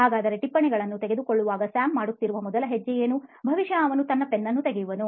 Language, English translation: Kannada, So what would be the first step Sam would be doing while taking down notes, probably take out his pen